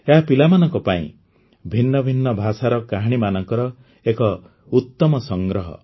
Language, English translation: Odia, This is a great collection of stories from different languages meant for children